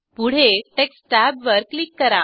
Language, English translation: Marathi, Next click on Text tab